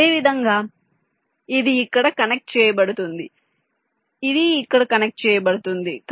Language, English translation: Telugu, similarly, this will be connected here